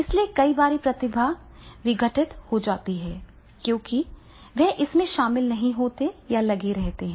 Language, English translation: Hindi, And so many times the talent is disruptive because they are not involved or engaged